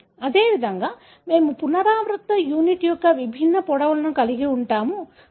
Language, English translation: Telugu, So, likewise we are going to have different lengths of the repeating unit